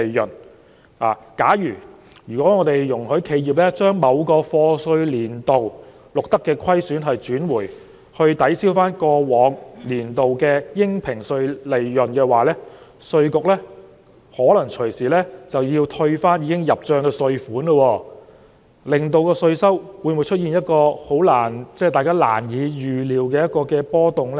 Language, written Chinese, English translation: Cantonese, 因此，假如我們容許企業把某個課稅年度錄得的虧損結轉，以抵銷過往年度的應評稅利潤，稅務局可能隨時需要退回已經入帳的稅款，這樣會否令稅收出現一個大家難以預料的波動呢？, Hence if enterprises were allowed to carry forward the losses recorded in a certain year of assessment for offsetting against the taxable profits of last year the Inland Revenue Department may need to refund the tax payments already in its account back to the enterprises . Will this lead to unpredictable fluctuations in our tax regime?